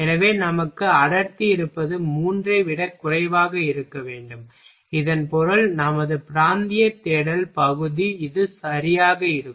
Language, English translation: Tamil, So, what we have density should be lesser than three then it means our region search region will be this one ok